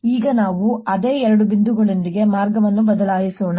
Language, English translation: Kannada, now let's change the path with the same two points